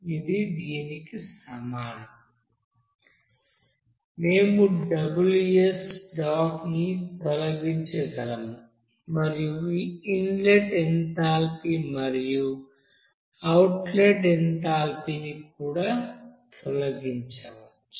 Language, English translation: Telugu, That will be is equal to So we can delete this and also we can delete this inlet enthalpy and outlet enthalpy